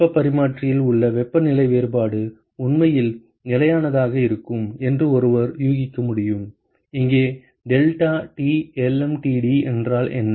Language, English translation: Tamil, And so one could guess that the temperature difference along the heat exchanger will actually be constant, what is deltaT lmtd here